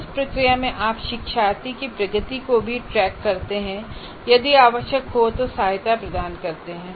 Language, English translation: Hindi, And then in the process you also track the learners progress and provide support if needed